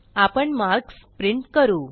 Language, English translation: Marathi, we shall print the marks